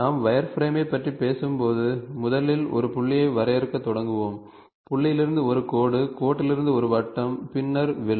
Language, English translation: Tamil, And when we talk about wireframe, we will first always start defining a point, point to a line, line to a circle and then arc